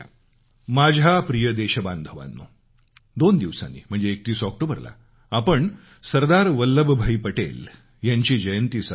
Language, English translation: Marathi, My dear countrymen, we shall celebrate the birth anniversary of Sardar Vallabhbhai Patel ji, two days from now, on the 31st of October